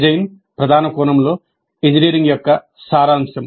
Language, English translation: Telugu, Design in a major sense is the essence of engineering